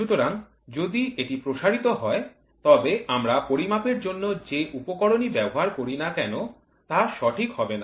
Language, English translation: Bengali, So, if it stretches then whatever instrument we use for measuring is not going to be correct